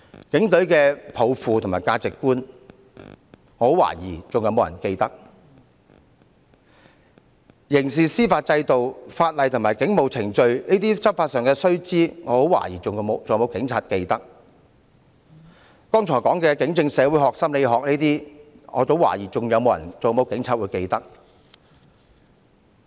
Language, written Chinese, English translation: Cantonese, 警隊抱負和價值觀，我很懷疑還有沒有人記得？刑事司法制度、法例及警務程序，這些執法上的須知，我很懷疑還有沒有警察記得？我剛才說的警政社會學、心理學，我很懷疑還有沒有警察記得？, I highly doubt who will still remember the mission and values of the Police; I highly doubt if any police officer will still remember the essential information concerning law enforcement such as criminal justice system laws and police procedures; I highly doubt if any police officer will still remember sociology and psychology in policing as mentioned by me just now